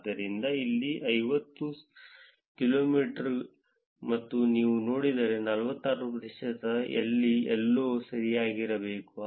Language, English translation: Kannada, So, here is 50 kilometers and if you see 46 percent should be somewhere here correct